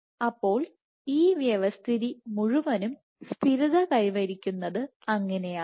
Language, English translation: Malayalam, So, that is how this entire system is stabilized